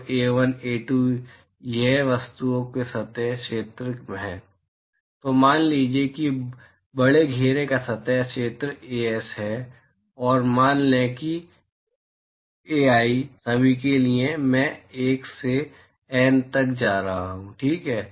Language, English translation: Hindi, So, A1, A2, … these are the surface area of the objects and supposing if the surface area of the large enclosure is As and let us assume that Ai, for all i going from 1 to N is much smaller than As, ok